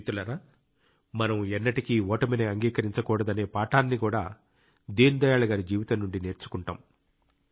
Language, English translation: Telugu, from the life of Deen Dayal ji, we also get a lesson to never give up